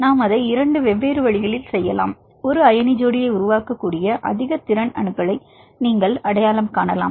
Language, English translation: Tamil, We can do it in two different ways; either you can identify the atoms which can be able to form an ion pair; high potential to form ion pair